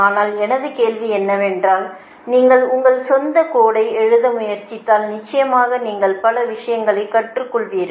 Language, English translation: Tamil, but my question is that if you try to write code of your own, then definitely you will learn many things, right